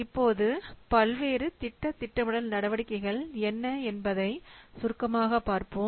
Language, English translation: Tamil, Now let's see briefly what are the various project planning activities